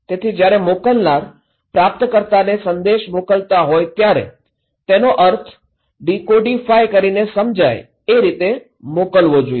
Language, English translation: Gujarati, So, when senders are sending message to the receiver, they should able to understand and decodify the meaning that sender sent okay